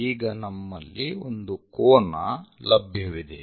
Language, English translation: Kannada, Now, we have an angle